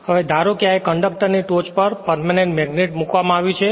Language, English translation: Gujarati, Now the suppose a permanent magnet is placed on the top of this conductor